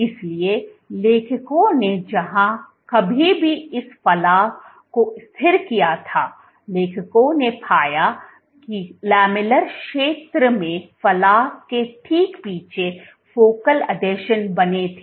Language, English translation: Hindi, So, what the authors found wherever this protrusion was stabilized the authors found that focal adhesions were formed right behind the protrusion in the lamellar region